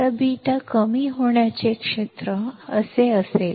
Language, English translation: Marathi, Now beta depletion region will be like this